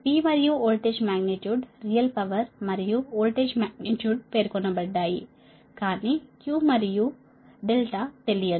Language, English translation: Telugu, p and voltage magnitude, real power and voltage magnitude are specified, but q and delta are not known, right